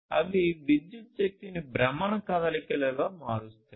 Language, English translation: Telugu, And this one is electrical energy into rotational motion